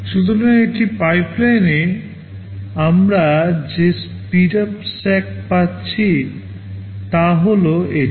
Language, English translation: Bengali, So, in a pipeline the speedup Sk we are getting is this